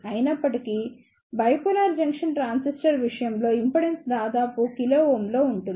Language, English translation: Telugu, However, in case of bipolar junction transistor the impedance is of the order of kilo ohm